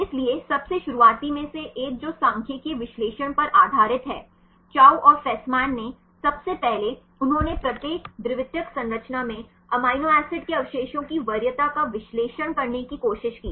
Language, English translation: Hindi, So, one of the earliest one that is based on the statistical analysis, Chou and Fasman first he tried to analyze the preference of amino acid residues in each secondary structure